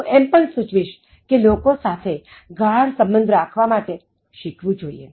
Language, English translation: Gujarati, I also suggested that you should learn to make deeper connections with people